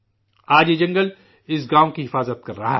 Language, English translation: Urdu, Today this forest is protecting this village